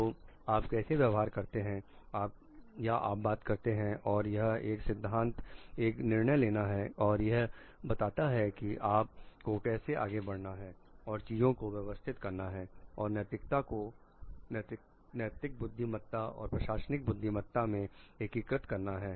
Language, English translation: Hindi, And how you behave or you talk and it like it is a principle decision making and it talks of giving like you are like how you move forward managing those things and the integrating ethics into ethics wisdom into the management wisdom